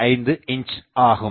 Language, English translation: Tamil, 859 centimeter or 5